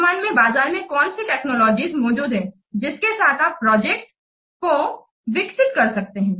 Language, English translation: Hindi, What technologies currently existing in the market with that can we develop the project